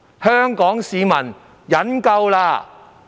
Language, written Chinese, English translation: Cantonese, 香港市民忍夠了！, The people of Hong Kong have had enough!